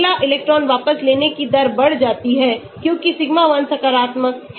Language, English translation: Hindi, Next electron withdrawing rate goes up because sigma 1 is positive